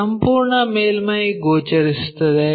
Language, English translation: Kannada, This entire surface will be visible